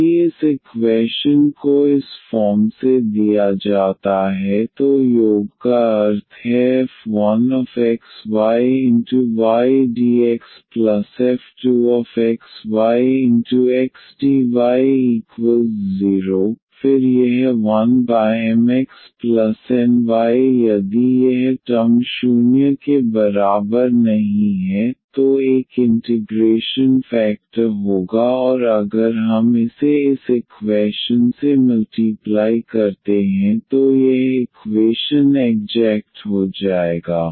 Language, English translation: Hindi, If this equation is given off this form means the sum function xy and y dx; another function x dy, then this 1 over Mx minus Ny if this term is not equal to 0 will be an integrating factor and if we multiply this to this equation this equation will become exact